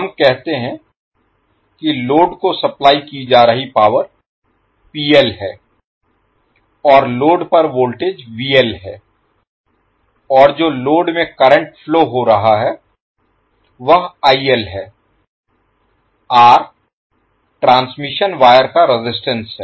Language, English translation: Hindi, Let us say that the power being supplied to the load is PL and the voltage across the load is VL and the current which is flowing in the load is IL, R is the resistance of the transmission wire